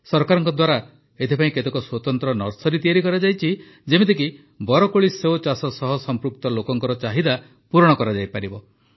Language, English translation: Odia, Many special nurseries have been started by the government for this purpose so that the demand of the people associated with the cultivation of Ber can be met